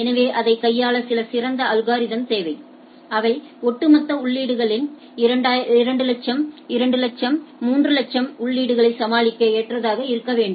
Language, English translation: Tamil, So, that that it requires some better algorithm to handle this like there can be huge entries like 200000, 200000, 300000 entries into the overall entries